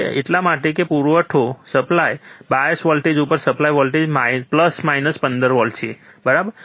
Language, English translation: Gujarati, That is because the supply voltage the supply voltage at the bias voltage is plus minus 15 volts right